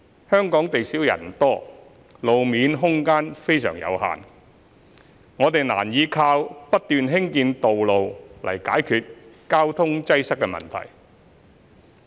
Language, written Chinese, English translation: Cantonese, 香港地少人多，路面空間非常有限，我們難以靠不斷興建道路來解決交通擠塞問題。, Hong Kong is a densely populated city with limited road space so it is difficult for us to tackle traffic congestion by building roads continuously